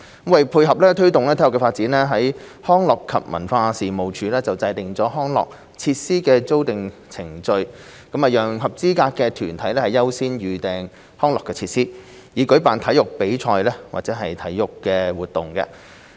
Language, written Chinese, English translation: Cantonese, 為配合推動體育發展，康樂及文化事務署制訂了康樂設施的預訂程序，讓合資格的團體優先預訂康樂設施，以舉辦體育比賽或體育活動。, To complement the promotion of sports development the Leisure and Cultural Services Department LCSD has put in place a booking procedure for recreation and sports facilities allowing eligible organizations to make priority booking of such facilities to organize sports competitions or activities